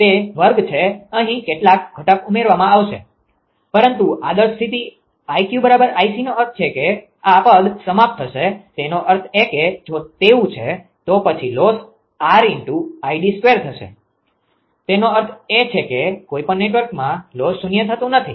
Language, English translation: Gujarati, It is square some component will be added here, but ideal condition i q equal i c means this term will vanish; that means, if it is so, then loss will be R Id square; that mean loss in any network cannot be made to 0